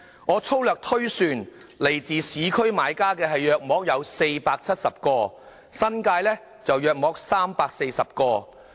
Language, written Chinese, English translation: Cantonese, 我粗略推算，來自市區的買家大約470個，新界大約340個。, According to my rough calculation around 470 buyers came from urban areas while around 340 buyers came from the New Territories